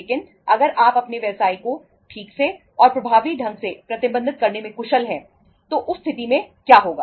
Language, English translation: Hindi, But if you are efficient in managing your business properly and effectively in that case what will happen